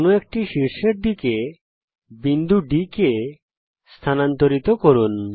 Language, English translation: Bengali, Move the point D towards one of the vertices